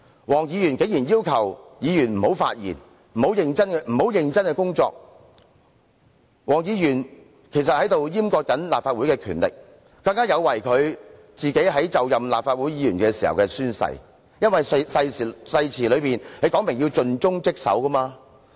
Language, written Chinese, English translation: Cantonese, 黃議員竟然要求議員不要發言及不要認真工作，是在閹割立法會的權力，有違他就任立法會議員時的宣誓，因為誓詞說明要盡忠職守。, In asking Members not to speak and not to earnestly perform this duty Mr WONG sought to castrate the powers of the Legislative Council in contravention of the oath that he took when assuming office as a Member of the Legislative Council for the oath expressly requires a Member to act conscientiously and dutifully